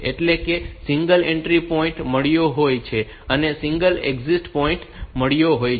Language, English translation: Gujarati, So, that is it has got a single entry point and it has got a single exit point